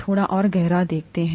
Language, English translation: Hindi, Let’s dig a little deeper